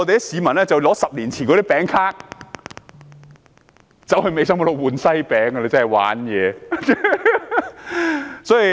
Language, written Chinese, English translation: Cantonese, 市民更拿出10年前的餅卡到店兌換西餅，真是"玩嘢"。, Then to rub salt into the wound people produce cakes coupons issued 10 years ago to buy cakes